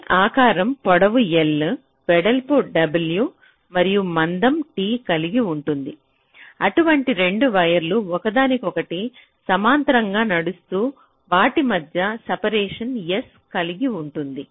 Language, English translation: Telugu, so each of this shape will be having a length l, a width w and a thickness t, and two such wires running parallel to each other will be having a separation s